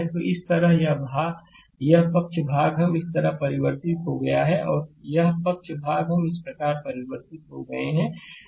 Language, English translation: Hindi, So, this way this side portion we have converted like this and this side portion we have converted like this right